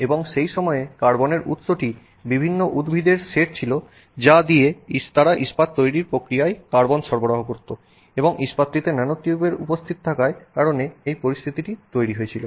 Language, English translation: Bengali, And at that time the carbon source was a set of various plants that they used to provide carbon in the steel making process and that is basically what apparently cost this, you know, this situation where there were nanotubes present in the steel